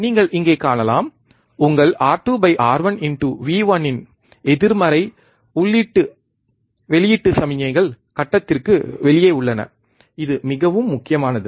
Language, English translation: Tamil, You can see here so, negative of your R 2 by R 1 into V 1 input output signals are out of phase, this is very important